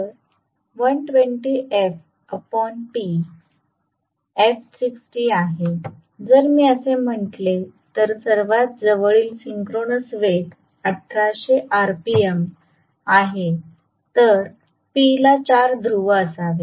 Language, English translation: Marathi, So, 120 f by p, f is 60 so if I say that the closest synchronous speed is 1800 rpm then p has to be 4 poles